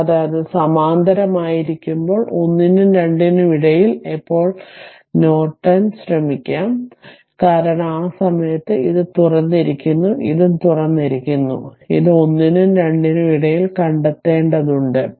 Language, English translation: Malayalam, And ah, and when it will be in parallel that, when we will try to find out in between one and two are Norton, because at that time this is open, this is also open and this is also we have to find out between 1 and 2